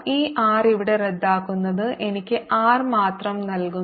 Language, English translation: Malayalam, this r cancels here gives me r alone